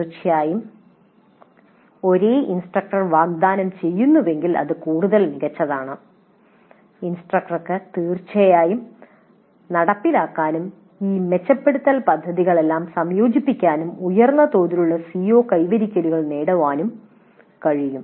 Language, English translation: Malayalam, Of course if the same instructor is offering it is all the more great the instructor can definitely implement incorporate all these improvement plans and achieve higher levels of CO attainment